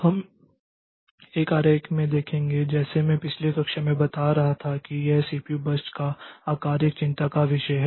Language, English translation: Hindi, So, next to be looking into a diagram like, as I was telling in a diagram like as I was telling in the last class that this CPU burst size is a concern